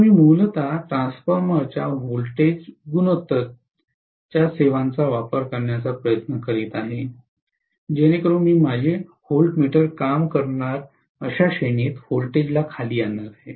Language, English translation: Marathi, So I am essentially trying to use the services of the voltage ratio of a transformer, so that I am able to bring the voltage down to the range where my voltmeters would work